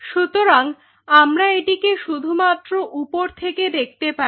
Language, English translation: Bengali, So, your only we can view it is from the top